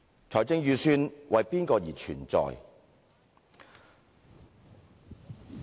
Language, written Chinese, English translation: Cantonese, 財政預算為誰而存在？, For whom does the Budget exist?